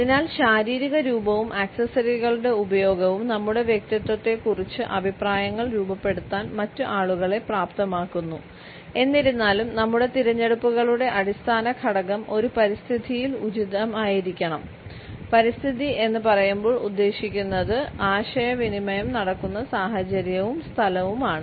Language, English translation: Malayalam, So, about physical appearance and the use of accessories enables other people to form opinions about our personality, however the underlying factor in our choices should be appropriateness within an environment and by environment we mean the situation and the place where the communication takes place